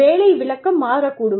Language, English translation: Tamil, The job description could change